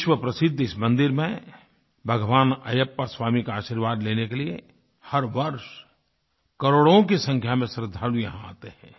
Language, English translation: Hindi, Millions of devotees come to this world famous temple, seeking blessings of Lord Ayyappa Swami